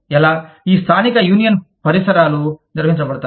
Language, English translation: Telugu, How, these local union environments, are organized